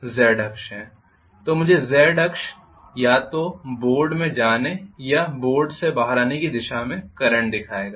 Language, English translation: Hindi, So Z axis will show me the current either going into the board or coming out of the board